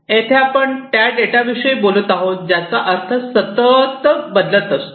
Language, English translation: Marathi, Here we are talking about the data whose meaning is constantly changing, right